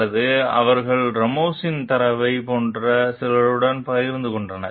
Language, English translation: Tamil, Or they have shared with some like Ramos s data also